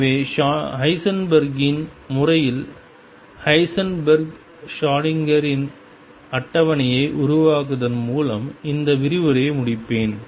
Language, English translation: Tamil, So, to conclude this lecture let me just make a comparative table for Heisenberg and Schrödinger picture